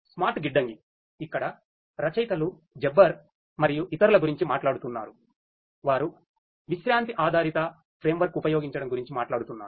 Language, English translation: Telugu, Smart Warehousing, here the authors are talking about Jabbar et al they are talking about the use of a rest based framework